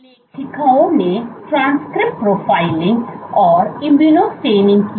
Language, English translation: Hindi, The authors did transcript profiling and immunostaining